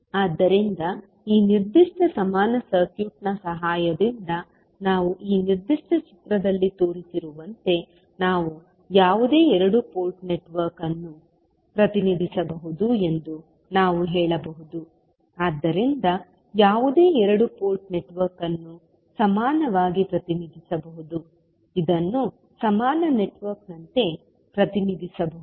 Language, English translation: Kannada, So, we can say the with the help of this particular equivalent network we can represent any two port network as shown in this particular figure so any two port network can be represented as a equivalent, as an equivalent network which would be represented like shown in the figure